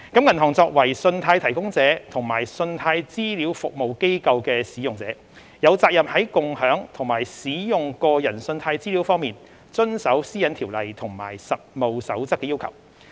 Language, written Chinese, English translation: Cantonese, 銀行作為信貸提供者及信貸資料服務機構的使用者，有責任在共享及使用個人信貸資料方面遵守《私隱條例》及《實務守則》的要求。, Banks and other credit providers as users of services of CRAs are required to comply with the requirements of PDPO and the Code of Practice in their sharing and use of customers credit data through CRAs